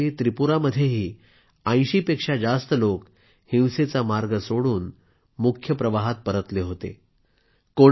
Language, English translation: Marathi, Last year, in Tripura as well, more than 80 people left the path of violence and returned to the mainstream